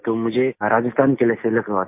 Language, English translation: Hindi, I got selected for Rajasthan